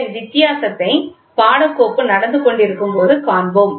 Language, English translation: Tamil, We will see the difference while the course is going on